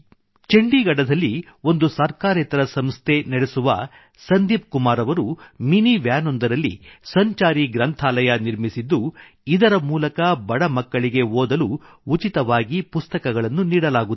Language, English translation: Kannada, In Chandigarh, Sandeep Kumar who runs an NGO has set up a mobile library in a mini van, through which, poor children are given books to read free of cost